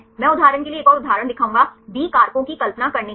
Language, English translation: Hindi, I will show one more example for example, to visualize B factors